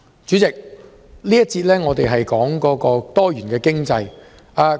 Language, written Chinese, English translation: Cantonese, 主席，這一節的主題是多元經濟。, President the theme of this debate session is Diversified Economy